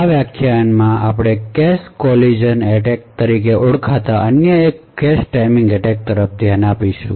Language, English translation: Gujarati, In this lecture will be looking at another cache timing attack known as cache collision attacks